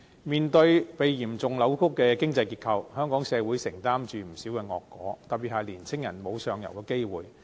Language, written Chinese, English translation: Cantonese, 面對被嚴重扭曲的經濟結構，香港社會承擔着不少惡果，特別是年青人沒有上游的機會。, The seriously deformed economy has inflicted many adverse consequences on our society the most notable example being young peoples lack of opportunities for upward mobility